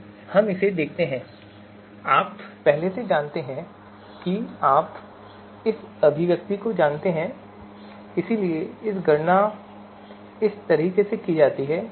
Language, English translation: Hindi, So we look at this you know first you know this expression, so it can be computed like this